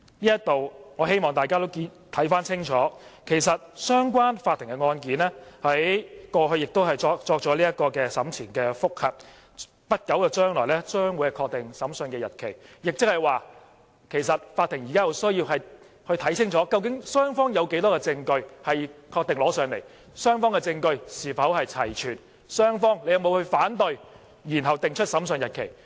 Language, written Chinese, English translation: Cantonese, 就此，我希望大家都看清楚，相關法庭的案件，其實過去亦已作出審前覆核，將在不久將來確定審訊日期，即法庭現在有需要看清禁，究竟雙方有多少證據確定呈交、雙方證據是否齊全、雙方有沒有反對，然後定出審訊日期。, In this regard I hope Members can be clear that the court case concerned has already conducted pre - trial review and the Court will fix the hearing day of the trial soon . This means that at this moment the Court needs to check the evidence confirmed to be submitted and see if any piece of evidence is left behind and whether there is any objection as regards the evidence from both sides . Then it will fix the trial date